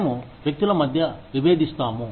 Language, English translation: Telugu, We differentiate between people